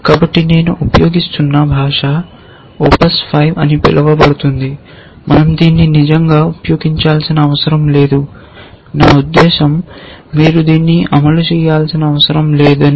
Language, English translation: Telugu, So, the language that I am using, we do not really have to use it and in, I mean you may not have to implement it is called O P S 5